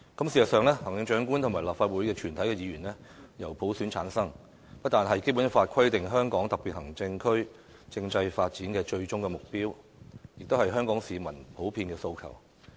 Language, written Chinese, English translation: Cantonese, 事實上，行政長官與立法會全體議員均由普選產生，不單是《基本法》規定香港特別行政區政制發展的最終目標，也是香港市民普遍的訴求。, In fact the election of the Chief Executive and all the Members of the Legislative Council by universal suffrage is not only the ultimate goal of the constitutional development of the Hong Kong Special Administrative Region HKSAR as stipulated by the Basic Law but also the common aspiration of the Hong Kong people